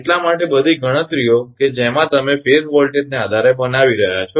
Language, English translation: Gujarati, To because all calculations in which you are making based on the phase voltage